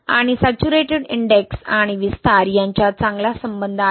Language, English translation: Marathi, And there is a good correlation between saturation index and expansion